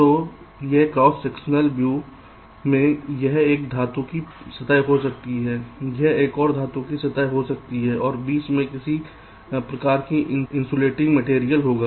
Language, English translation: Hindi, so if i have a cross sectional view, ok, so in a cross sectional view, this can be one metal surface, this can be another metal surface, ok, and there will be some kind of a insulating material in between